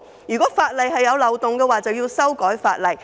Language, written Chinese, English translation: Cantonese, 如果法例有漏洞，便應修改法例。, If there is loophole in the legislation the legislation should be amended